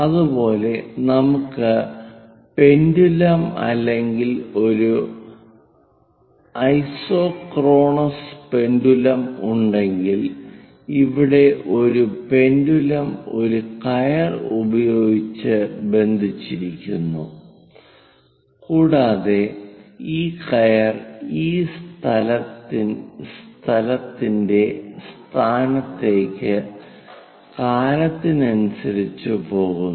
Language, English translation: Malayalam, Similarly, if we have pendulums isochronous pendulums here a pendulum connected by a rope and this rope is going up the location of this point with time and the curve along which this point is going up and down